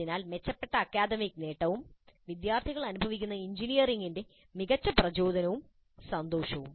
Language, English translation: Malayalam, So improved academic achievement and obviously better motivation and joy of engineering which the students experience